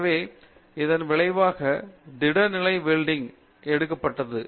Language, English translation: Tamil, So, as a result solid state welding has taken up